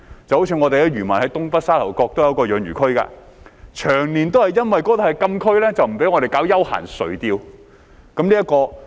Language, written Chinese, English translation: Cantonese, 舉例來說，我們的漁民在東北沙頭角也有一個養魚區，長年就因為那裏是禁區而不獲准搞休閒垂釣活動。, To cite an example our fellow fishermen have a fish culture zone in Sha Tau Kok in the northeast but for years they have been denied permission to engage in recreational fishing activities just because it is in a closed area